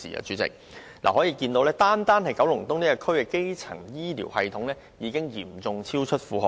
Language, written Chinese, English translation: Cantonese, 主席，由此可見，單單九龍東的基層醫療系統已嚴重超出負荷。, President this tells us the fact that the primary care system in KE alone has already become seriously overloaded